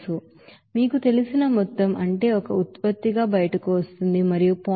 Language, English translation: Telugu, This is the you know amount supplied, that is amount is coming out as a product and 0